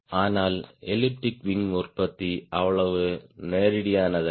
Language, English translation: Tamil, but the manufacturing of elliptic wing is not so straightforward